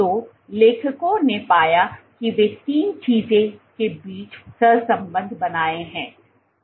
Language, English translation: Hindi, So, they did cross correlation between three things